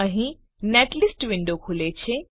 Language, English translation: Gujarati, Here the netlist window opens